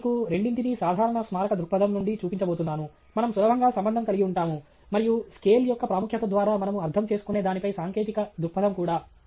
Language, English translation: Telugu, I am going to show you both from the perspective of a general monument that we can easily relate to and also a technical perspective what we mean by importance of scale